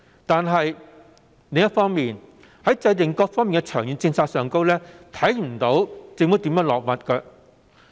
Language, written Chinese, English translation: Cantonese, 但是，另一方面，在各方面的長遠政策制訂上，卻看不到政府如何着墨。, However on the other hand I fail to see any mention of long - term policies in various aspects